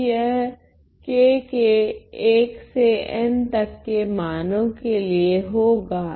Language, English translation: Hindi, So, these are for all values of k from 1 to n ok